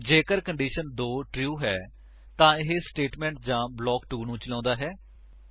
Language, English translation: Punjabi, If condition 2 is true, it executes statement or block 2